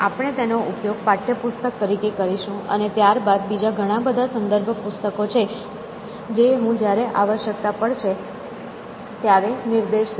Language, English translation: Gujarati, So, we will use that as a text book, and then there is a host of others reference books that I will point to